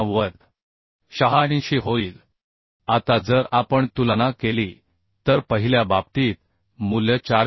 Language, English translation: Marathi, 86 Now if we compare that in case of first one the value is coming 426